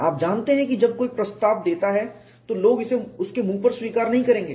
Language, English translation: Hindi, You know when somebody proposes people will not accept it on the face of it